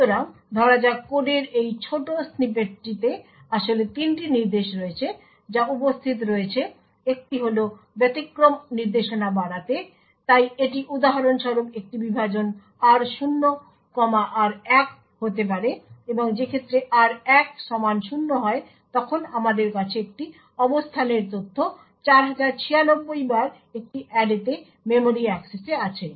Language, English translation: Bengali, So let us consider this small snippet of code there are in fact 3 instructions which are present, one is a raise exception instruction so this for example could be a divide r0, comma r1 and the case where r1 is equal to 0 then we have a memory access to an array at a location data times 4096